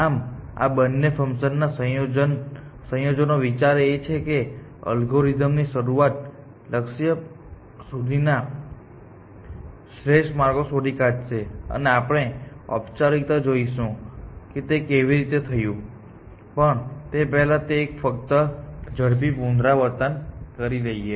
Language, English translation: Gujarati, So, with the combination of these two functions, the idea is that the algorithm will find optimal paths from start to the goal essentially and today we will show formally that this is how this is done; but before we do that, just a quick recap